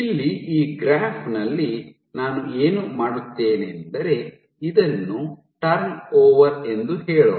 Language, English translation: Kannada, So, what I will do here in this graph let us say this is turn over